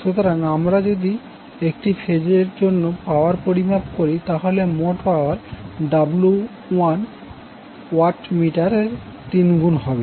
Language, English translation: Bengali, So if we measure power for one single phase the total power will be three times of the reading of 1 watt meter